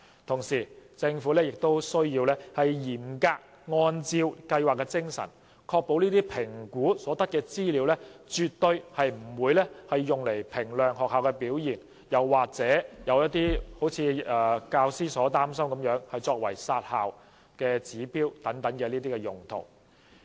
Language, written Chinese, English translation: Cantonese, 同時，政府亦須嚴格按照計劃的精神，確保評估所得的資料絕對不會用作衡量學校的表現，又或如部分教師所擔心作為"殺校"指標等用途。, Meanwhile the Government should also in strict accordance with the spirit of the research study ensure that the information obtained from BCAs will definitely not be used for such purposes as evaluating the performance of schools or as a benchmark for culling schools as feared by some teachers and so on